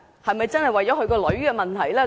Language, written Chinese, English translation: Cantonese, 是否真的為了他女兒的問題？, Was it really because of the problem with his daughter?